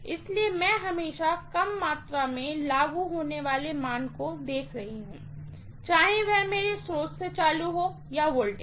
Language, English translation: Hindi, So, I am always looking at lesser amount of value being applied, whether it is current or voltage from my source